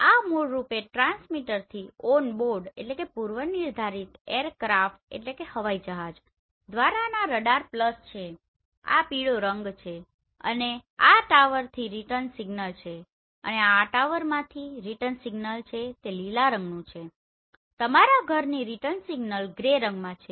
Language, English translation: Gujarati, So these are basically radar pulse from transmitter onboard aircraft this yellow color right and the return signal from tower right and the return signal from tower they are in green and return signal from your house they are in gray color